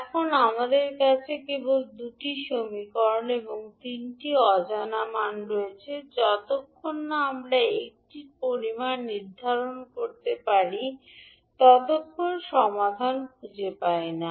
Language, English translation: Bengali, Now as we have only 2 equations and 3 unknowns we cannot find the solution, until unless we fix one quantity